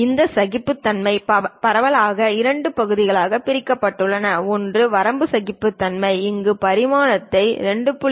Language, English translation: Tamil, And these tolerances are broadly divided into two parts one is limit tolerances, where we show the dimension 2